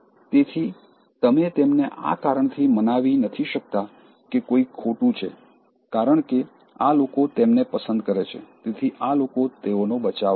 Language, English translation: Gujarati, So, you cannot convince them with the reason that, somebody is wrong because, these people like them so blindly they will defend these people